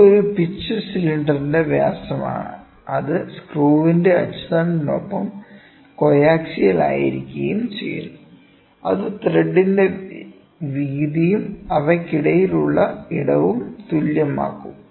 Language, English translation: Malayalam, It is the diameter of a pitch cylinder, which is coaxial with the axis of the screw and in and inserts the flank of a thread, in such a way as to make the width of the thread and the width of the space between them equal